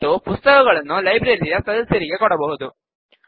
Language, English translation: Kannada, And books can be issued to members of the library